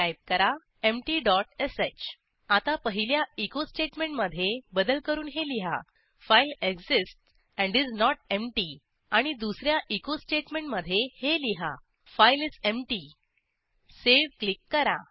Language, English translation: Marathi, Type empty dot sh Now, replace the first echo statement with: File exists and is not empty And the second echo statement with: File is empty Click on Save